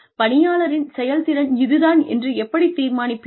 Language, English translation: Tamil, How will you come to a conclusion, about the performance of the employee